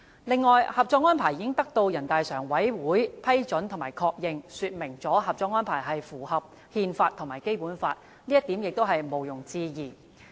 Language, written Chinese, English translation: Cantonese, 此外，《合作安排》已得到人大常委會批准和確認，說明《合作安排》符合憲法和《基本法》，這點毋庸置疑。, Besides with the approval and endorsement from NPCSC the Co - operation Arrangements conformity with the Constitution and the Basic Law is beyond doubt